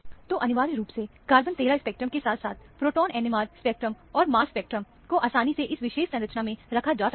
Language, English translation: Hindi, So, essentially, carbon 13 spectrum, as well as the proton NMR spectrum, mass spectrum are easily fitted into this particular structure